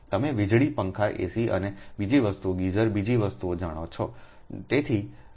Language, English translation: Gujarati, you know light fans, ac and other thing, geezer, another things, right